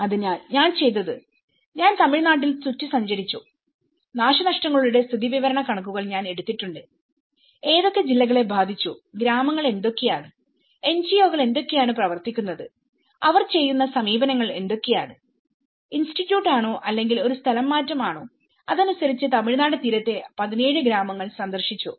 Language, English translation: Malayalam, So, what I did was I travelled around Tamilnadu, I have taken a lot of statistical information of the damage statistics what districts have been affected, what are the villages, what are the NGOs working on, what approaches they are doing whether they are doing Institute or a relocation and accordingly have visited about 17 villages along the stretch of Tamilnadu coast